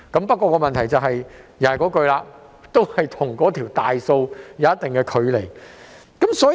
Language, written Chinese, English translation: Cantonese, 不過，問題仍然在於這與整體失業人數有一定的距離。, The problem however still lies in the gap between this and the overall number of unemployed persons